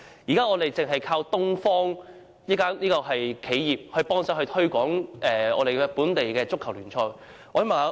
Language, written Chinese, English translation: Cantonese, 現時，我們單靠東方報業幫忙推廣本地的足球聯賽。, At present we can only depend on the Oriental Press Group to help promote local soccer league matches